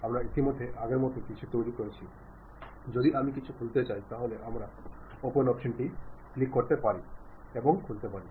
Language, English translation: Bengali, In that, we have constructed something like already a previous one, if I want to open that we can use this open option click that part and open it